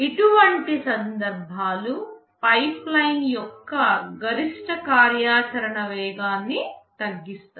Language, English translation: Telugu, Such cases can slow down the maximum operational speed of a pipeline